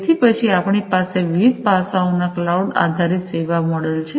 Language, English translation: Gujarati, So, this is an important feature of the cloud based business model